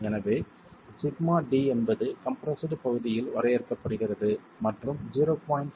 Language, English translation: Tamil, So, the sigma D is defined on the compressed area and 0